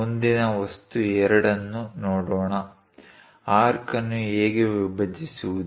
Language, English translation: Kannada, Let us look at next object 2; how to bisect an arc